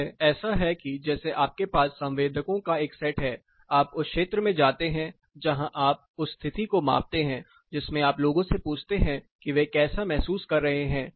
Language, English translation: Hindi, It is like you have a set of sensors you go to the field you measure the condition parallelly you also ask people, how do they feel